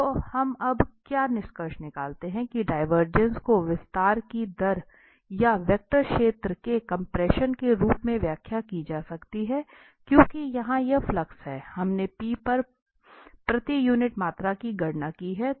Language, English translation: Hindi, So, what we conclude now that the divergence can be interpreted as the rate of expansion or the compression of the vector field because this is the flux here, we have computed per unit volume at P